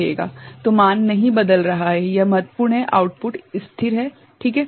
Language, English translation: Hindi, So, the value is not changing ok, this is important that output remains stable, ok